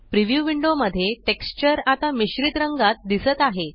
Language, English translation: Marathi, Now the texture in the preview window is displayed in a mix of colors